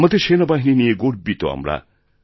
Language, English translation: Bengali, We are proud of our army